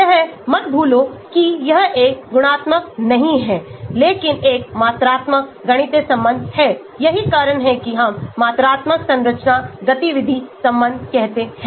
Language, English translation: Hindi, do not forget that it is not a qualitative but a quantitative mathematical relation that is why we say quantitative structure activity relationship